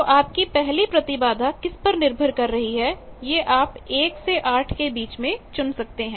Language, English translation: Hindi, So, your first impedance at which point depending on that you can choose 1 of that 8 ones